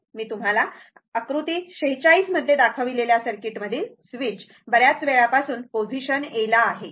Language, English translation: Marathi, So, next is, next is circuit, I will show you the switch in the circuit shown in figure 46 has been in position A for a long time